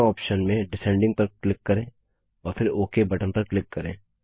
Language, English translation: Hindi, Click on Descending in both the options near them and then click on the OK button